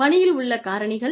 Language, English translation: Tamil, Sources at work